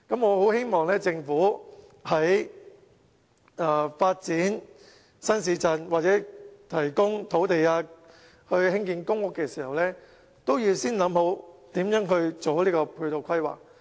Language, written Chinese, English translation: Cantonese, 我希望政府在發展新市鎮，或者提供土地興建公屋的時候，先研究如何做好配套規劃。, I hope the Government can first draw up infrastructure plans before developing any new towns or providing land for public housing construction